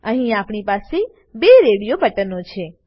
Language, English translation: Gujarati, Here we have two radio buttons